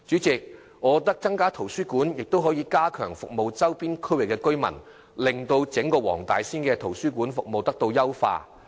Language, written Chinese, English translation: Cantonese, 增加圖書館亦可加強服務周邊區域的居民，優化整個黃大仙的圖書館服務。, The new library will also enhance the service to the residents of neighbouring areas and improve the library service of the entire Wong Tai Sin District